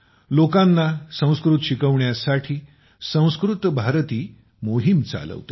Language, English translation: Marathi, 'Sanskrit Bharti' runs a campaign to teach Sanskrit to people